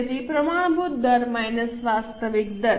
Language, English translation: Gujarati, So, standard rate minus actual rate